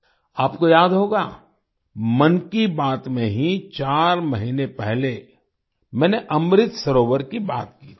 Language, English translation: Hindi, You will remember, in 'Mann Ki Baat', I had talked about Amrit Sarovar four months ago